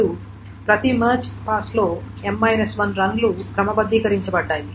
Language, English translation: Telugu, Now in each march pass m minus 1 runs are sorted